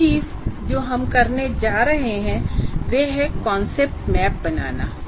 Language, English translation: Hindi, Now how do we organize the concept map